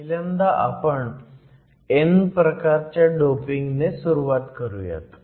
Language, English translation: Marathi, First we will start with n type doping